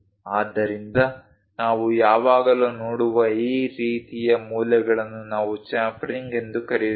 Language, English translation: Kannada, So, that kind of corners we always see, that is what we call chamfering